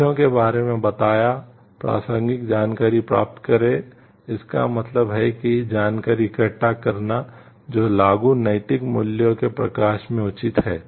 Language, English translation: Hindi, Informed about the facts obtain relevant information, this means gathering information that is pertinent in the light of the applicable moral values